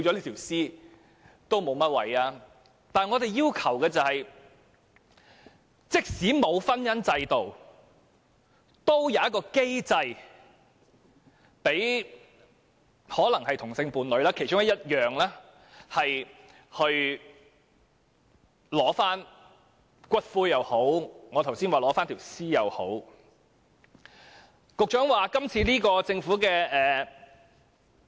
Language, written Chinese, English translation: Cantonese, 可是，我們要求的是，即使沒有婚姻制度，也要有機制讓同性伴侶——這只是其中一點——取回骨灰，或像我剛才所說的情況，取回遺體。, However our request is that even if there is no such marriage institution there should be a mechanism allowing the same - sex partner―this is only one of the points―to collect the ashes or in the case mentioned by me just now the corpse